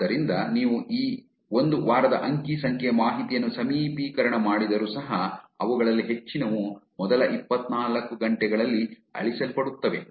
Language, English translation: Kannada, So, it is even if you zoom in to the data for this one week, majority of them are actually getting deleted within the first 24 hours